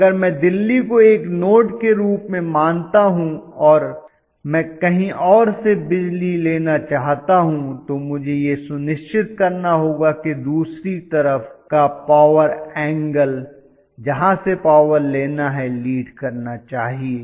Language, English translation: Hindi, But if I consider Delhi as a node and I want to take a power from somewhere else, I have to make sure that the power angle of the other side, from where want to guzzle up power that has to be at a leading power factor angle